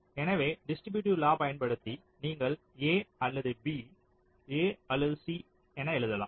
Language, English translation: Tamil, so in distributive law you can write a or b, a or c